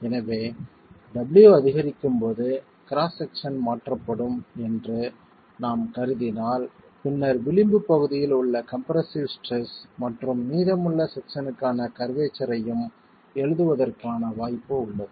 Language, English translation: Tamil, So, if we start assuming that the cross section is going to be replaced as W increases, we then have the possibility of writing down the compressive stress at the edge section and the corresponding curvature for the remainder of the section